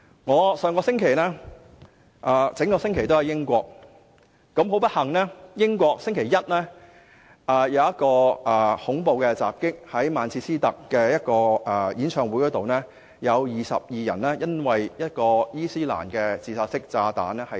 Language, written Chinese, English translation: Cantonese, 我上星期一整個星期也身處英國，很不幸，上星期一英國曼徹斯特一個演唱會發生恐怖襲擊，有22人因伊斯蘭自殺式炸彈而喪生。, Last week I was in the United Kingdom the whole week . Unfortunately however there was a terror attack on a concert in Manchester last Monday in which 22 people were killed by an Islamic suicide bomb